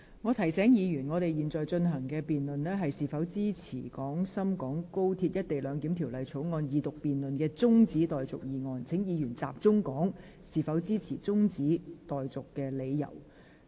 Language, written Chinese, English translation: Cantonese, 我提醒議員，本會現正辯論的議題是，應否將《廣深港高鐵條例草案》的二讀辯論中止待續，請議員集中討論為何支持或反對中止待續議案。, I would like to remind Members that this Council is debating the question of whether the Second Reading debate of the Guangzhou - Shenzhen - Hong Kong Express Rail Link Co - location Bill the Bill should be adjourned will Members please focus on discussing why they support or oppose this adjournment motion